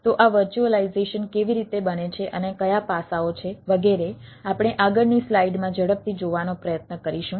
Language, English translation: Gujarati, so how this virtualization is made and what are the aspects, etcetera thing, we will try to see quickly in the subsequent slides